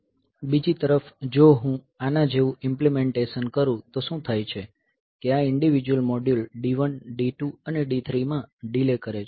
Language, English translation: Gujarati, On the other hand; if I do an implementation like this then what happens is that this individual module delay, so, D 1, D 2 and D 3